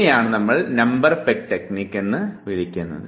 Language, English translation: Malayalam, So, this is called Number Peg Technique